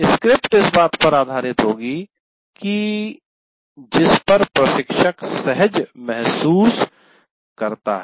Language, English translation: Hindi, So the script will be based on with what the instructor feels comfortable with